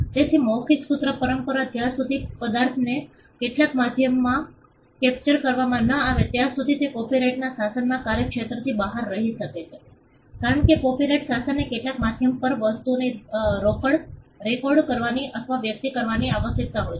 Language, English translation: Gujarati, So, the oral formulaic tradition unless the substance is captured in some medium can remain outside the purview of the copyright regime, because the copyright regime requires things to be recorded or expressed on some medium